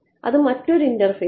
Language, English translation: Malayalam, On another interface